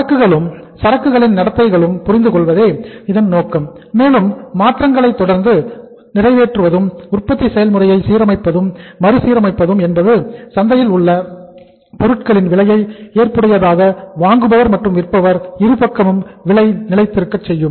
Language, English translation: Tamil, Purpose of this all is to understand the inventory, inventory behaviour clearly and then to say following the changes and then implementing the changes and adjusting and readjusting the manufacturing process is that prices of the products which are in the market remain at the acceptable level for both the sides; seller also and the buyer also